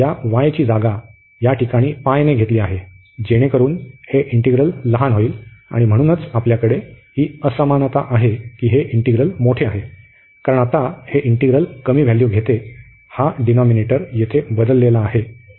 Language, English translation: Marathi, So, this y is replaced by this pi, so that this is this integral here becomes smaller integral for this integral, and therefore we have this inequality that this integral is larger, because this is taking now the integrant is taking lower value, because this denominator was replaced by the lowest value the highest value here which is pi there